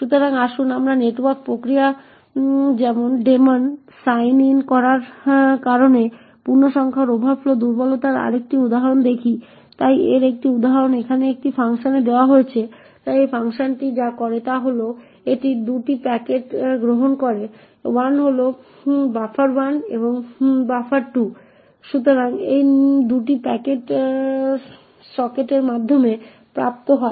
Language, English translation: Bengali, So let us look at another example of the integer overflow vulnerability due to sign in a network process or daemon, so an example of this is given in this function over here so what this function does is that it accepts 2 packets 1 is buffer1 and buffer2